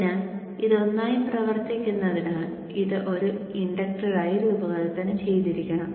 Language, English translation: Malayalam, So this has to be designed as an inductor as it acts like one